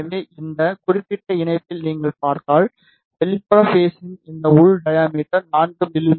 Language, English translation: Tamil, So, if you see in this particular connector, so this inner diameter of outer conductor is 4 mm, and the outer dimension will be little more